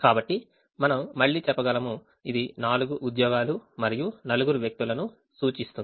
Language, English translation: Telugu, so again we can say that this represents the four jobs, this represents the four people